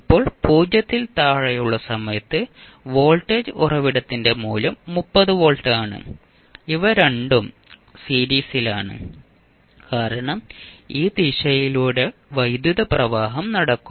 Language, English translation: Malayalam, Now, at time t less than 0 the value of voltage source is 30 volt and these 2 are in series because the current will flow through these direction